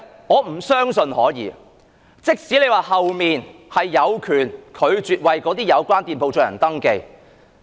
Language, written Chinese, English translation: Cantonese, 我不相信可以，即使政府說旅監局有權拒絕為有關店鋪進行登記。, I do not believe it can even though the Government said that TIA would have the power to refuse the registration of such shops